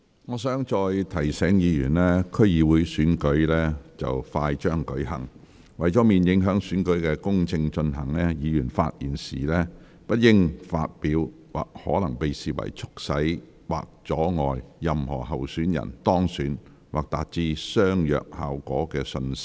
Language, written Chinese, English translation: Cantonese, 我再提醒議員，區議會選舉快將舉行，為免影響選舉公正進行，議員發言時不應發表可能被視為促使或阻礙任何候選人當選或達致相若效果的信息。, I would like to remind Members once again that the District Council Election will soon be held . To avoid affecting the fair conduct of the election Members should not disseminate messages that may be seen as causing or obstructing the election of any candidates or may achieve a similar result in their speeches